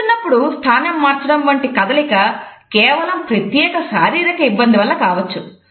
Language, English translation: Telugu, Movement such as shifting position when seated, may be simply way of resolving a specific physical situation